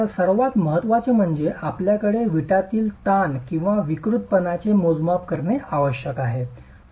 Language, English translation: Marathi, So, what is important is that you have measurements of what is the strain or deformation in the brick